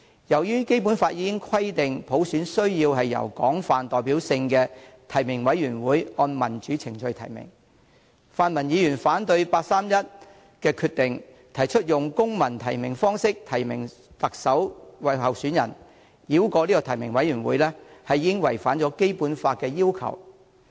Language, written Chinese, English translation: Cantonese, 由於《基本法》已經規定，普選需要由具廣泛代表性的提名委員會按民主程序提名，泛民議員反對八三一決定，提出用公民提名方式提名特首候選人，繞過提名委員會，已經違反了《基本法》的要求。, As it has already been stipulated in the Basic Law that universal suffrage must be implemented upon nomination by a broadly representative nominating committee in accordance with democratic procedures . By rejecting the 31 August Decision and proposing civil nomination as a means of nominating candidates the pan - democrats have attempted to circumvent the nominating committee thereby violating the requirements of the Basic Law